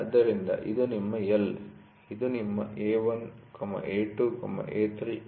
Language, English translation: Kannada, So, you have so this is your L, this is your A1, A2, A3, A4, ok